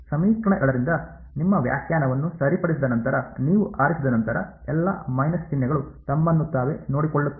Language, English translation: Kannada, Once you choose once you fix your definition from equation 2, all the minus signs take care of themselves ok